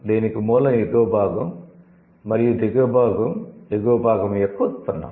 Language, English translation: Telugu, The base is the upper part and the lower part is the derivation of the upper one